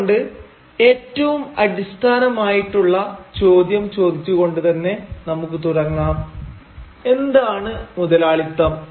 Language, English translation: Malayalam, So let us start by asking ourselves the basic question what is capitalism